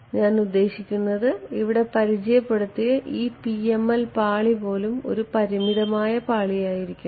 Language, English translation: Malayalam, I mean a even this PML layer that I have introduced over here this has to it has to be a finite layer right